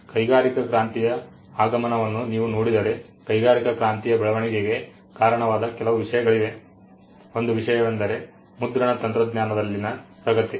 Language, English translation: Kannada, If you just see the advent of industrial revolution, there are certain things that contributed to the growth of industrial revolution itself; one of the things include the advancement in printing technology